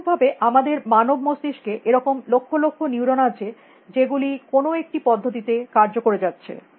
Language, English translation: Bengali, Likewise, in our human brains, there are these billions of neurons which are firing away in some fashion